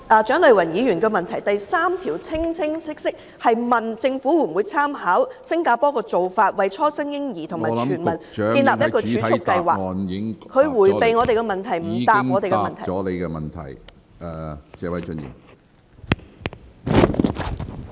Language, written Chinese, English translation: Cantonese, 蔣麗芸議員的主體質詢第三部分相當清晰，詢問政府會否考慮參考新加坡當局的做法，為初生嬰兒設立全民儲蓄計劃，局長迴避我們的問題，沒有回答我們的問題......, Part 3 of Dr CHIANG Lai - wans main question is very clear She asked whether the Government will draw reference from the practice of the Singapore authorities and set up a universal savings scheme for newborns . The Secretary has evaded our question . He has not answered our question